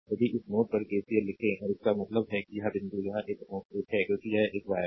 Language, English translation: Hindi, If you write KCL at this node and; that means, this point, this is node 1 together because it is a wire